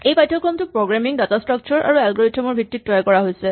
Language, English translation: Assamese, This course is about programming, data structures and algorithms